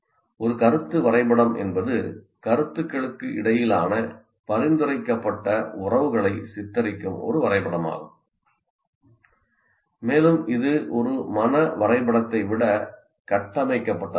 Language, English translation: Tamil, The concept map is a diagram that depicts suggested relations between concepts and it is more structured than a mind map